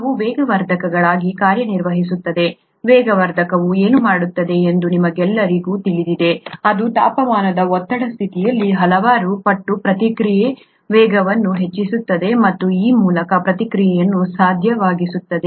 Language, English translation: Kannada, They act as catalysts, you all know what a catalyst does, it speeds up the rate of the reaction several fold at that temperature pressure condition and thereby makes the reaction possible